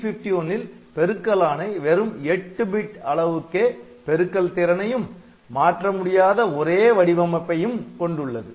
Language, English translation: Tamil, In case of 8051 we have got multiplication, but it is 8 bit multiplication only and the instruction format is fixed